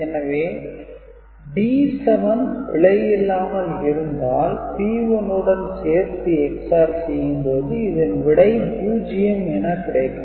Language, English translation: Tamil, So, D 7 was not erroneous then this Ex OR operation together with P 1 would give me 0